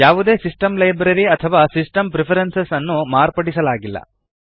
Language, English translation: Kannada, No system library or system preferences are altered